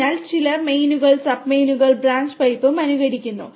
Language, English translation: Malayalam, So, some are simulating kind of mains then sub mains and branch pipe